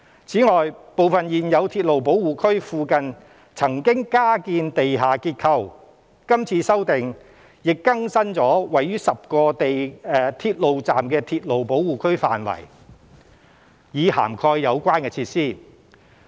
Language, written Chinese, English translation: Cantonese, 此外，部分現有鐵路保護區附近曾經加建地下結構，今次修訂亦更新了位於10個鐵路站的鐵路保護區範圍，以涵蓋有關設施。, In addition updates to the existing railway protection areas of 10 railway stations are also proposed to cover areas with underground structures built after the designation of the relevant railway protection areas